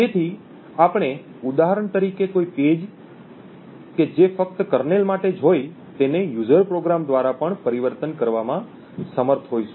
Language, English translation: Gujarati, So, we would for example be able to convert a page which is meant only for the kernel to be accessible by user programs also